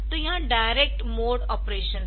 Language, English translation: Hindi, So, that is the direct mode of the operation